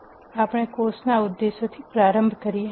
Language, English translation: Gujarati, Let us start with the objectives of the course